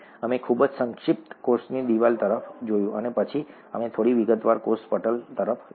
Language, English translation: Gujarati, We very briefly looked at the cell wall and then we looked at the cell membrane in some detail